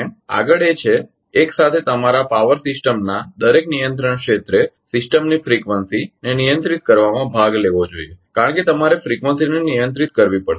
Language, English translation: Gujarati, Next is that simultaneously your each control area of a power system should participate in regulating the frequency of the system because you have to regulate the frequency